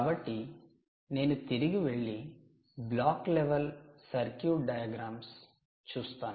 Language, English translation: Telugu, ok, so lets go back and look at this circuit, the block level circuit diagram